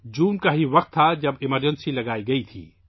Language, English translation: Urdu, It was the month of June when emergency was imposed